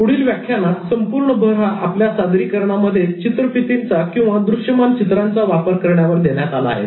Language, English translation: Marathi, In the next lecture, the focus was completely about using visuals in presentations